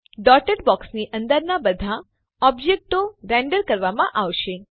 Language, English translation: Gujarati, All objects inside this dotted box will be rendered